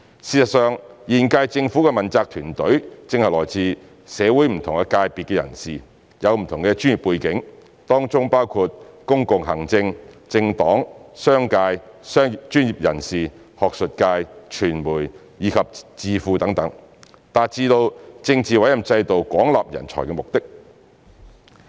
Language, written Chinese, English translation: Cantonese, 事實上，現屆政府的問責團隊正是來自社會不同界別的人士，有不同的專業背景，當中包括公共行政、政黨、商界、專業人士、學術界、傳媒、智庫等，達致了政治委任制度廣納人才的目的。, As a matter of fact since the accountability team of the current - term Government comprises people from different strata in society who have different professional backgrounds in public administration political parties business sector academic circle media think - tanks and so on thus the political appointment system has achieved the objective of recruiting talents